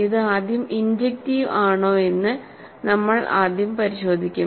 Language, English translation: Malayalam, We will first check that it is injective